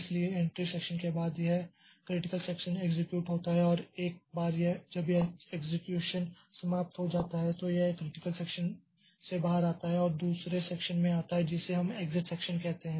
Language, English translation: Hindi, So, after the entry section it executes in the critical section and once this execution is over, then this comes out of the critical section and comes to another section which we call exit section